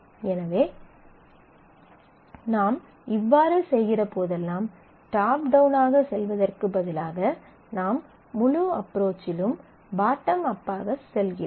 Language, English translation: Tamil, So, all that you are doing is instead of going top down you are going bottom up in the whole approach